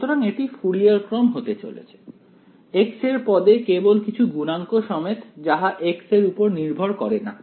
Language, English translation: Bengali, So, it has to be Fourier series in the x term only with some coefficients it should not depend on x